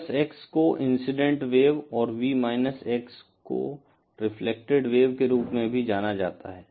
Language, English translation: Hindi, V+x is also known as the incident wave and V x as the reflected wave